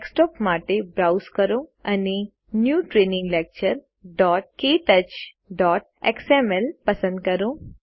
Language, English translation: Gujarati, Browse to the Desktop and select New Training Lecture.ktouch.xml